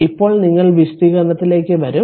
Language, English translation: Malayalam, So, let me clear it now I will come to some explanation